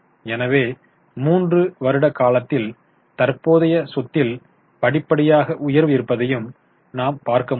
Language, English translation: Tamil, So, over a period of three years, you can see there is a gradual rise in current asset